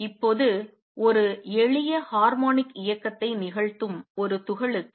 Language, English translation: Tamil, Now for a particle that is performing a simple harmonic motion